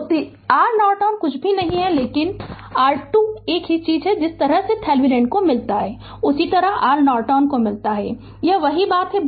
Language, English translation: Hindi, So, R Norton is nothing, but R Thevenin same thing the way you get Thevenin same way you got R Norton it is same thing right